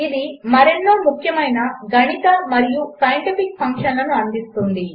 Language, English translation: Telugu, It provides many other important mathematical and scientific functions